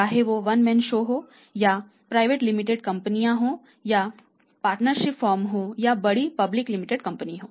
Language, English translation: Hindi, Whether it is a one man show or mean to it is a private limited company or it is a partnership firm or it is a large public limited company